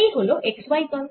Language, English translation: Bengali, so let's write this x and y plane